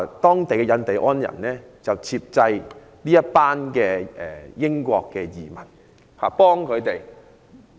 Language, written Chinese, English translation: Cantonese, 當地的印第安人接濟這群移民，協助他們......, Some Indians the indigenous people came to their rescue and helped them